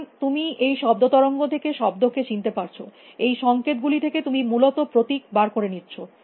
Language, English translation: Bengali, So, you are recognizing words out of this sound wave; from these signals you are extracting symbols essentially